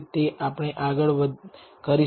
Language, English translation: Gujarati, We have done that